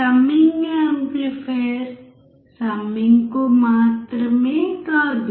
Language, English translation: Telugu, Summing amplifier is not just summer